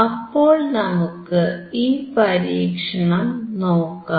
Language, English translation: Malayalam, So, let us see this experiment